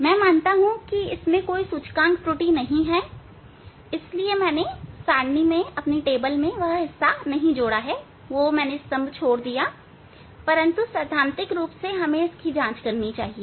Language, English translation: Hindi, I assume that this we do not have an index error, so that is why that part I have not included in the table, but in principle one should check it